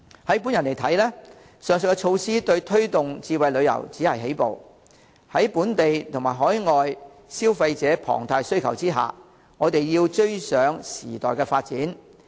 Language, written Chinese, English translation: Cantonese, 以我看來，上述措施對推動智慧旅遊只是起步，在本地、海外消費者龐大需求下，我們要追上時代發展。, In my view the aforesaid measures are only the first step for promoting smart tourism and we must keep abreast of the times in view of the huge demand from local and overseas consumers